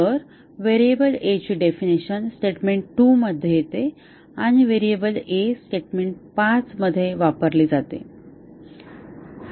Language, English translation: Marathi, So, definition of variable a, occur in statement 2 and the variable a is used in statement 5